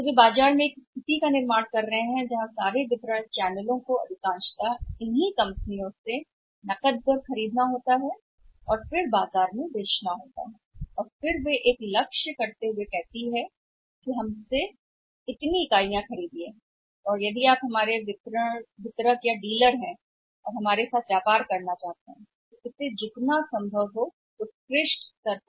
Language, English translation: Hindi, So, they are creating a situation in the market where all the distribution channels have to by maximum from the these companies on cash and then for sell it in the market and their they are again fixing it up of the target also that you buy this much number of units from us, If you are our distributor and dealer you by if you want to do business with us we have to do it at the excellent level at the best possible level